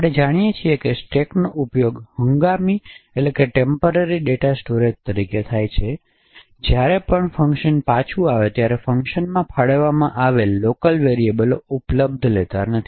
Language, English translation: Gujarati, As we know stacks are used as temporary data storage, so whenever a function returns then the local variables which was allocated in the function is no more available